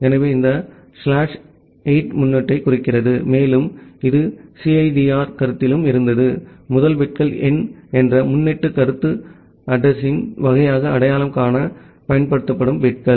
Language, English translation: Tamil, So, this slash 8 represent the prefix and which was there in the CIDR concept as well, the concept of prefix that the first bits number of bits which will be used to identify the type of the address